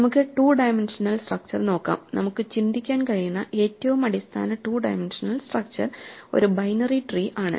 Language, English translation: Malayalam, Let us look at two dimensional structures; the most basic two dimensional structure that we can think of is a binary tree